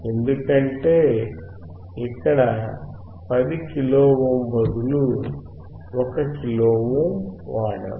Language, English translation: Telugu, Because instead of 10 kilo ohm here we have used 1 kilo ohm